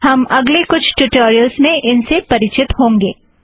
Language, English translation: Hindi, We will encounter some of them in other tutorials